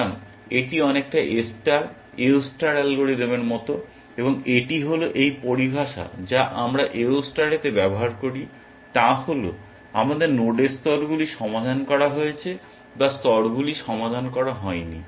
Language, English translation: Bengali, So, it is very much like the A star, AO star algorithm and this is the terminology we use in the AO star also that is we had nodes levels solved or not level solved